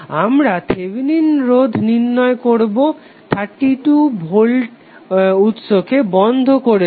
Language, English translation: Bengali, We find the Thevenin resistance by turning off the 32 volt source